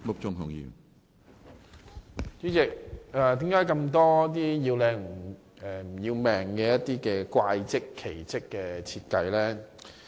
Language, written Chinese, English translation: Cantonese, 主席，為何有那麼多"要靚唔要命"的"怪則"或"奇則"的設計呢？, President why are there so many bizarre architectural designs that emphasize visual beauty at the expense of safety?